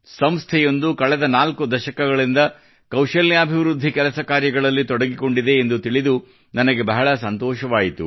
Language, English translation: Kannada, And when I came to know that an organization has been engaged in skill development work for the last four decades, I felt even better